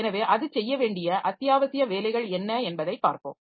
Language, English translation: Tamil, So, what are the essential jobs that it has to do